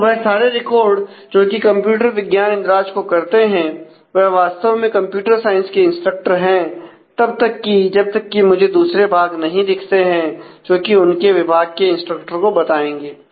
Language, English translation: Hindi, Then all those records which follow this computer science entry are actually instructors in the computer science till I actually come across another departments entry where which will be followed by instructors for that department